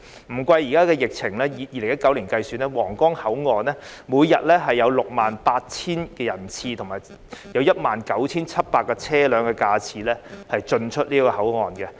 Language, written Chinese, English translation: Cantonese, 不計現在的疫情，以2019年計算，皇崗口岸每天有 68,000 人次及車輛 19,700 架次進出該口岸。, Without taking into account the present pandemic in 2019 about 68 000 passengers and 19 700 vehicles passed through the Huanggang Port every day